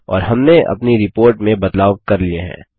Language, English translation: Hindi, And we are done with modifying our report